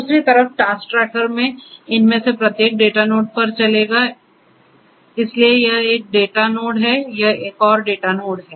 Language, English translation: Hindi, In the task tracker on the other hand will run at each of these data nodes so, this is one data node, this is another data node